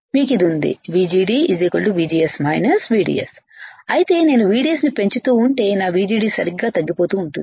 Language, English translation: Telugu, You have this VGD equals to VGS minus VDS, but if I keep on increasing VDS